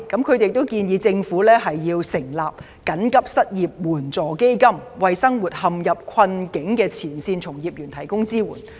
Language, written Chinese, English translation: Cantonese, 他們亦建議政府設立緊急失業救濟援助基金，為生活陷入困境的前線從業員提供支援。, They also suggest that the Government should set up an unemployment emergency relief fund to provide support to frontline workers having a livelihood issue